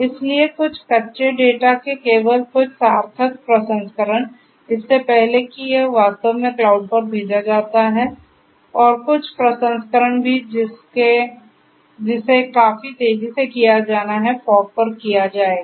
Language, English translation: Hindi, So, only some meaningful processing of some raw data, before it is actually sent to the cloud and also some processing, that has to be done quite fast will be done at the fog